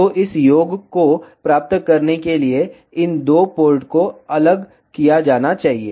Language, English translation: Hindi, So, to get this sum these two ports should be isolated